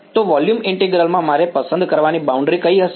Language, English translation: Gujarati, So, in volume integral, what would be the boundary that I have to choose